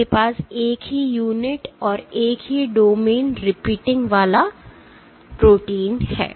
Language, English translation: Hindi, You have a protein with the same unit same domain repeating